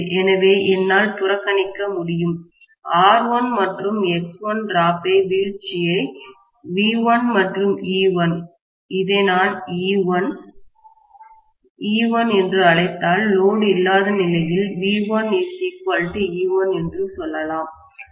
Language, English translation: Tamil, So, I can very happily neglect that drop across R1 and X1, I can say that V1 and E1, if I may call this as E1, capital E1, so I can say V1 is equal to E1 under no load condition